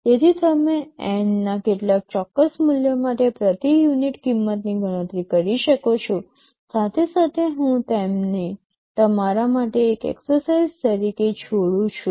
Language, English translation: Gujarati, So, you can calculate the per unit cost for some particular value of N; well I leave it as an exercise for you